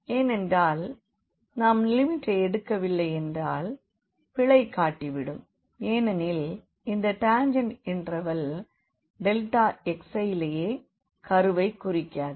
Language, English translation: Tamil, Because, if we do not take the limit we have the error because this tangent is not representing the curve in this interval delta x i